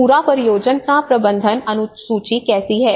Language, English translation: Hindi, how is the whole project management schedule